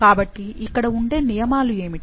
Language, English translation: Telugu, So, what are the rules